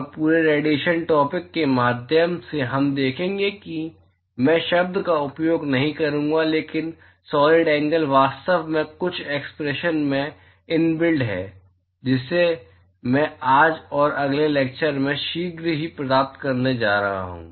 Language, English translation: Hindi, And all through the radiation topic that we will see I will not use the word solid angle, but the solid angle is actually inbuilt in some of the expression that I am going to derive shortly the today’s and next lecture